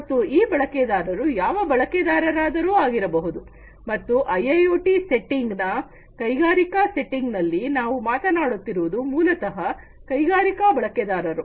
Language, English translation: Kannada, And these users could be any user and in the industrial settings in the IIoT settings we are talk talking about industry users typically